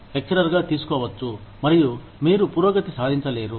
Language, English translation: Telugu, Could be taken in, as a lecturer, and you just, do not progress